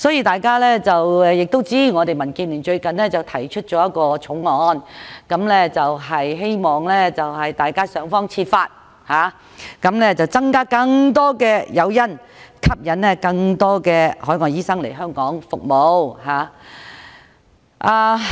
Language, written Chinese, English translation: Cantonese, 大家都知道，民建聯最近提出了一項法案，希望想方設法增加更多誘因，吸引更多海外醫生來港服務。, As we all know the Democratic Alliance for the Betterment and Progress of Hong Kong has recently introduced a bill to provide more incentives to attract more overseas doctors to serve in Hong Kong